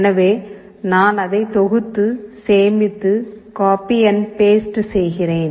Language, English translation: Tamil, So I compile it, save it, copy it and paste it